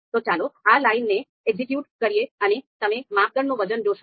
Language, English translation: Gujarati, So let us execute this line and you would see the criteria weights